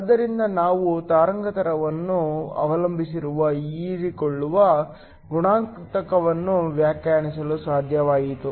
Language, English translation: Kannada, So, we were able to define an absorption coefficient that is wave length dependent